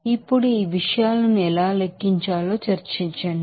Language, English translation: Telugu, Now in discuss how to calculate these things